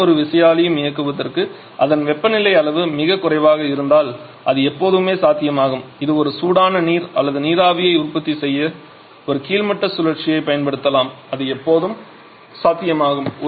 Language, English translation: Tamil, But it is always possible at the bottoming cycle if its temperature level is too low to run any turbine we can just use a bottoming cycle to produce hot water or steam that is always a possibility